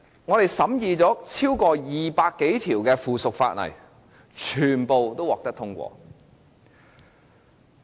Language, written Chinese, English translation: Cantonese, 本會審議了超過200項附屬法例，全部均獲得通過。, This Council scrutinized more than 200 pieces of subsidiary legislation and all of them were passed